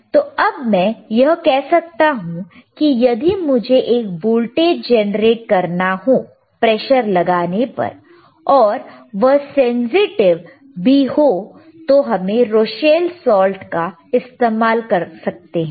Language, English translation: Hindi, So, now, we can say that if I want to have if I want to generate a voltage when I apply pressure and and it should be sensitive, then we can use a Rochelle salt alright